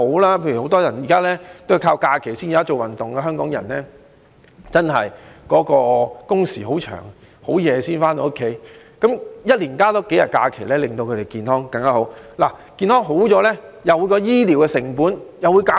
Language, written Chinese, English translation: Cantonese, 例如現時很多人在假期才做運動，因為香港人的工時很長，很晚才回到家裏，一年增加數天假期，會令他們更健康。健康有所改善，醫療成本也會減少。, For instance many Hong Kong people only do exercises during the holidays because they usually return home late due to the long working hours . If they are given additional holidays their health will be improved; if peoples health is improved healthcare costs will be reduced